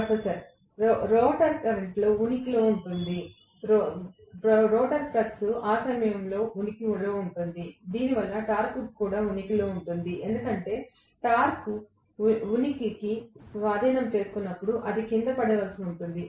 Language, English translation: Telugu, (35:21) Professor: The rotor current will seize to exist, the rotor flux will seize to exist at that moment because of which the torque will also seizes to exist, because the torque seizes to exist it will have to fall down